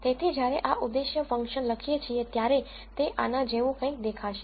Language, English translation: Gujarati, So, this objective function when it is written out would look something like this